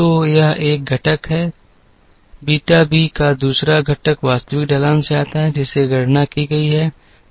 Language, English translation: Hindi, So, that is 1 component of the beta the b t the other component comes from the actual slope that was computed